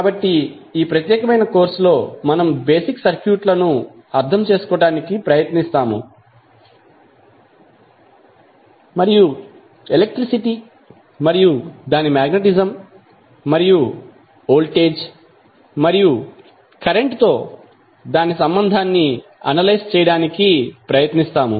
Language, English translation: Telugu, So, in this particular course we will try to understand the basic circuits and try to analyse what is the phenomena like electricity and its magnetism and its relationship with voltage and current